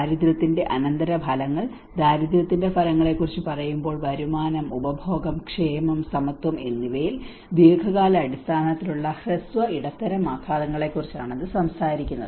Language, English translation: Malayalam, Whereas the poverty outcomes, when we say about poverty outcomes, it talks about the both short, medium on long term impacts on income, consumption, welfare and equality